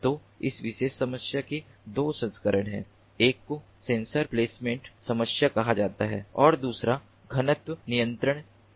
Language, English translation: Hindi, one is called the sensor placement problem and the other one is the density control